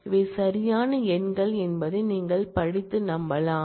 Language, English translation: Tamil, you can study and convince yourself that these are the correct numbers